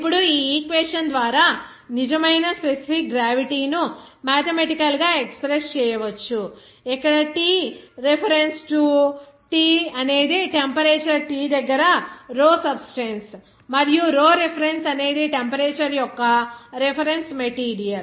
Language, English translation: Telugu, Now, true specific gravity can be expressed mathematically by this equation that specific gravity at referred like T reference to T that will be equal to rho substance at temperature T and rho reference at a temperature of the reference material